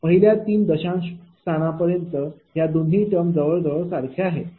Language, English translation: Marathi, Up to first 3 decimal places this 2 are almost same right